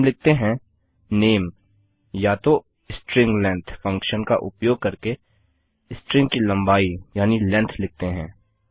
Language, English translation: Hindi, We will say name or rather the length of the string using the string length function